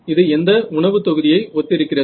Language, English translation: Tamil, So, what food group does it resemble